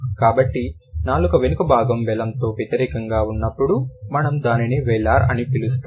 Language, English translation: Telugu, So, when the back of the tongue is against the vealum, we call it wheeler